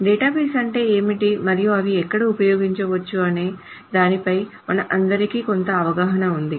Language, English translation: Telugu, For example, I mean, we all have some idea of what databases are and where it can be used